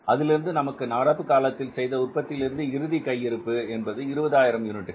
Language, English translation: Tamil, In the present period in the current period we are keeping a closing stock of the 20,000 units